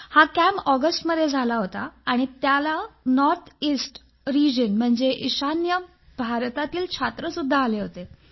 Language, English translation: Marathi, This camp was held in August and had children from the North Eastern Region, NER too